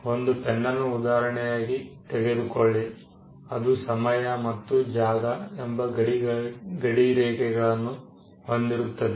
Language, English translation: Kannada, Take a pen for instance, the pen has a boundary in time and space